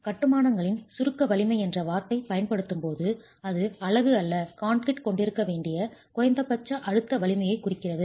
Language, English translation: Tamil, When the word specified compressive strength of masonry is used it is referring to the minimum compressive strength that the unit or the concrete must have